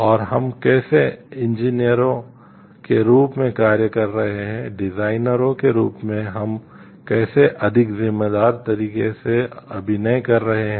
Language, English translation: Hindi, And how the we are acting as engineers, as designers how in a more responsible way we are acting